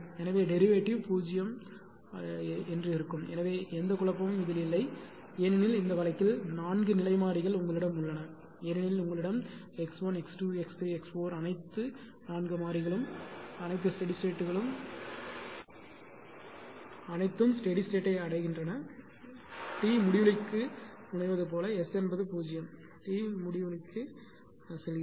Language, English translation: Tamil, So, if it is so that they where there should not be any confusion because you have all the 4 state variables in this case because you have X 1 X 2 X 3 X 4 all the 4 variables all steady S all are reaching to the steady state, right